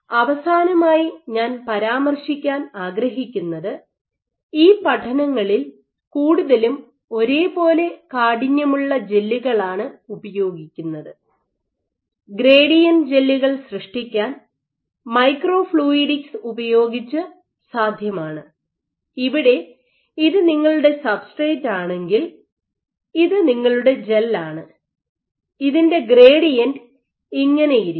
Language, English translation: Malayalam, One last thing I wanted to mention, so while these studies these gels are mostly uniform stiffness gels it is possible using microfluidics to generate gradient gels where if this were your substrate you would have and this is your gel you would have a gradient